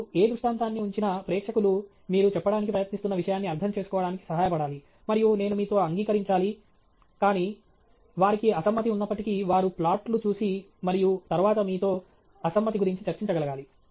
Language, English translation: Telugu, Whatever illustration you put up should help the audience understand the point that you are trying to say okay, and ideally agree with you, but even if they have a disagreement, they should able to look at the plot and then discuss with you what is that they are disagreeing with okay